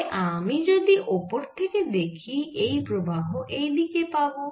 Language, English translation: Bengali, so if i look at from the top, this current may be going like this